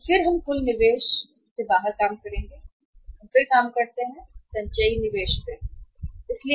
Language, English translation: Hindi, So then we will work out the total investment, total investment and then we work out the cumulative investment, cumulative investment